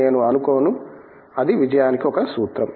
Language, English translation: Telugu, I do not think that, that is a formula to success